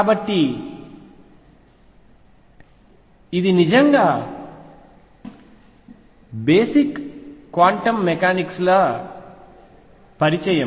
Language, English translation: Telugu, So, we started with how quantum mechanics started